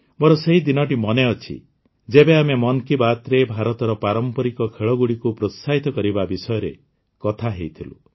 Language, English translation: Odia, I remember the day when we talked about encouraging traditional sports of India in 'Mann Ki Baat'